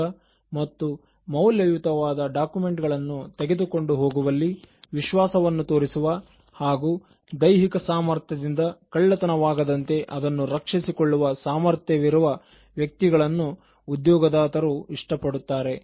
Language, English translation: Kannada, Employers are happy with able individuals who show reliability in carrying important documents or valuables and use their physical strength to protect them from getting stolen